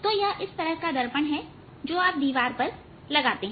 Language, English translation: Hindi, so it's like a mirror you put on the wall